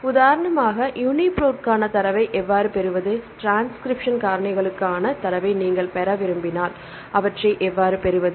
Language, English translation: Tamil, How to obtain the data for UniProt for example, if you want to obtain the data for transcription factors, how to get the data